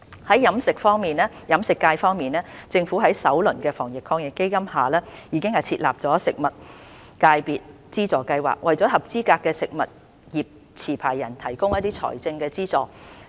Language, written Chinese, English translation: Cantonese, 在飲食業界方面，政府在首輪的防疫抗疫基金下已設立食物業界別資助計劃，為合資格食物業持牌人提供財政資助。, For the catering sector the Government has established the Food Licence Holders Subsidy Scheme under the first round of the Fund to provide financial support to eligible food business licence holders